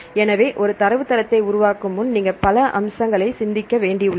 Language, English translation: Tamil, So, several aspects you have to think before developing a database